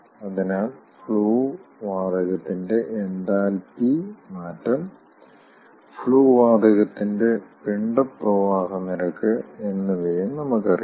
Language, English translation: Malayalam, we know outlet property of the flue gas, so then we know the enthalpy change of the flue gas